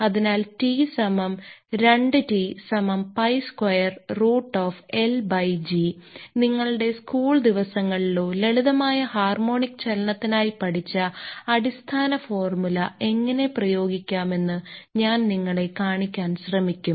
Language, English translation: Malayalam, So, that is written as equal to t is equal 2 t is equal to two pi square root of L by g; and I will try to show you that how we can apply this your basic formula which we learned in our ah ah your school ah days or simple harmonic motion